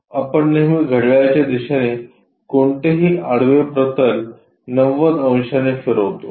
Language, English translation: Marathi, Always we rotate any horizontal plane in the clockwise direction by 90 degrees